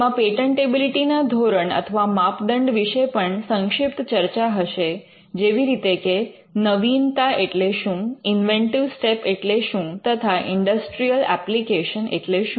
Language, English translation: Gujarati, And it would also contain a brief discussion on the patentability criteria what is novelty, what is inventive step and what is industrial application